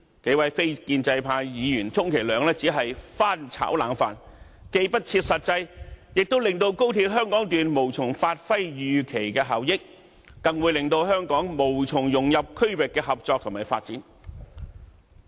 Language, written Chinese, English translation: Cantonese, 數位非建派議員充其量只是"翻炒冷飯"，既不切實際，亦令高鐵香港段無從發揮預期的效益，更會令香港無從融入區域的合作及發展。, The few non - establishment Members are merely putting forward some old and impractical proposals which will make it impossible for the Hong Kong Section of XRL to bring forth the expected benefits and for Hong Kong to take part in regional cooperation and development